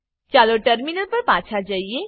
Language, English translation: Gujarati, Lets switch to the terminal